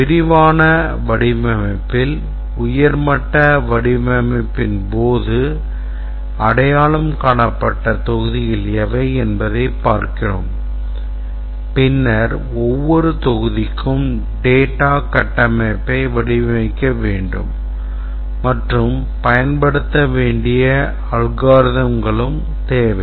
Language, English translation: Tamil, In detailed design, we look at what are the modules that has been identified during the high level design and then for each of the module need to design the data structure and also the algorithms to be used